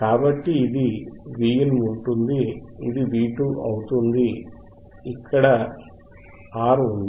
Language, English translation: Telugu, So, this will be Vin, this will be V 2 right